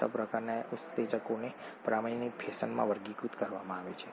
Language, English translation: Gujarati, The six types that the enzymes are classified into in a standardised fashion